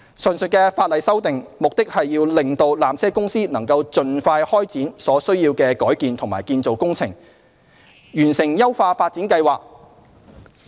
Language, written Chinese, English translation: Cantonese, 上述法例修訂，目的是令纜車公司能盡快開展所需的改建及建造工程，完成優化發展計劃。, The aforesaid legislative amendments aim at enabling PTC to commence the necessary alteration and construction works and complete the upgrading plan as soon as possible